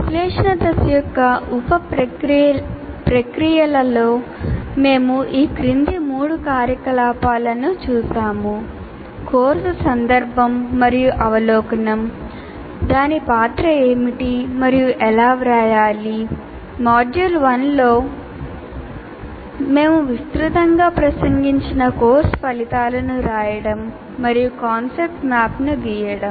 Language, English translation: Telugu, And among the various sub processes we looked at in the analysis phase, course context and overview, what is its role and how it should be written, and writing the course outcomes, which we have addressed in the module 1 extensively and then also drawing a kind of a what we call as a concept map